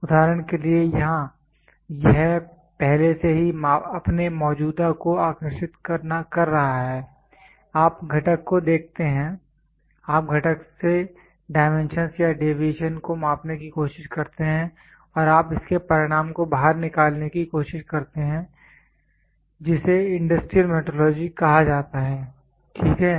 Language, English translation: Hindi, For example, here it is already drawing its existing, you look at the component, you try to measure the dimensions or deviations from the component and you try to take the result out of it that is called as industrial metrology, ok